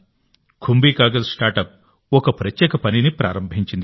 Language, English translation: Telugu, KumbhiKagaz StartUp has embarked upon a special task